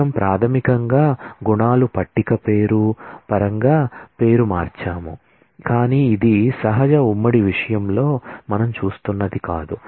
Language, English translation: Telugu, We basically the attributes got renamed in terms of the table name, but this is not what we are looking at in relation natural joint